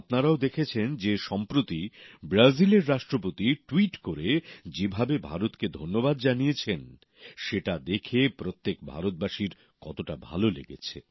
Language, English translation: Bengali, You must also have seen recently how the President of Brazil, in a tweet thanked India every Indian was gladdened at that